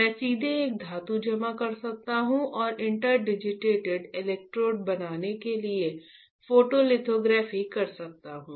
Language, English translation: Hindi, I can directly deposit a metal right and perform photolithography to fabricate inter digitated electrodes